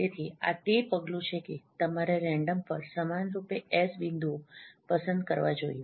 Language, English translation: Gujarati, So this is the step that you should select S points uniformly at random